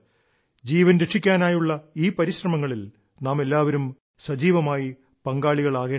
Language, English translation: Malayalam, We should all become active stakeholders in these efforts to save lives